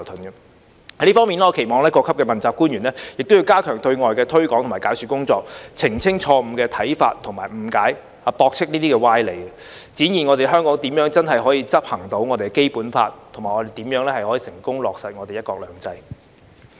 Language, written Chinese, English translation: Cantonese, 在這方面，我期望各級問責官員亦要加強對外的推廣及解說工作，澄清錯誤的看法及誤解，駁斥這些歪理，展現香港如何全面執行《基本法》及成功落實"一國兩制"。, In this regard I hope that officials at all levels under the accountability system will also step up their external promotion and explanation work to clarify misconceptions and misunderstandings as well as refute these distortions so as to demonstrate how Hong Kong can fully implement the Basic Law and successfully implement one country two systems